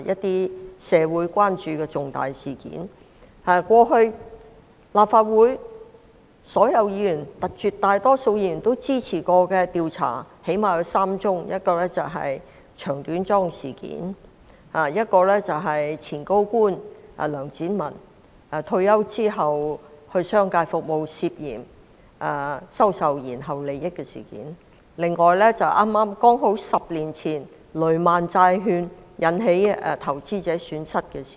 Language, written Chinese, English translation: Cantonese, 過往曾獲得立法會絕大多數議員支持的調查最少有3宗：其一是短樁事件；其二是前高官梁展文退休後到商界服務、涉嫌收受延後利益的事件；而其三是剛好10年前雷曼債券令投資者蒙受損失的事件。, In the past at least three inquiries got the green light from a clear majority of Members in the Council the first one was the substandard piling works case the second one was the incident of suspected acceptance of deferred benefits by LEUNG Chin - man a former senior official who joined the business sector after retirement and the third one was the Lehman Brothers minibonds incident in which investors suffered losses that took place precisely a decade ago